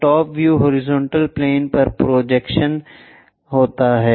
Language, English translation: Hindi, So, top view projected on to horizontal plane